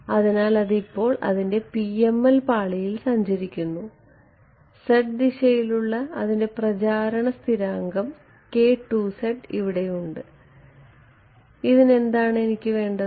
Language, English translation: Malayalam, So, it has now its travelling in the in the in the PML layer it is travelling and its propagation constant along the z direction has this k k 2 z over here and a what do I want for this